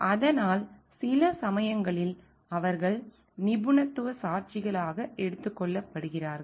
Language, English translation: Tamil, And so, sometimes they are taken to be as expert witnesses